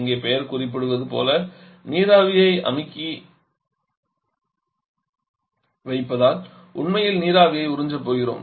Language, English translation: Tamil, And as the name suggest here is your compressing the vapour we are actually going to absorb the vapour